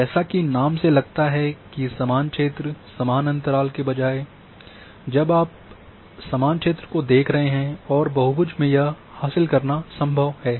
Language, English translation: Hindi, As the name implies equal area, instead of having equal interval now you are looking the equal area and in polygon it is possible to achieve this thing